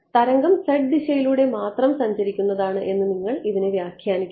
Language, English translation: Malayalam, I should you should not interpret this as the wave is travelling only along the z direction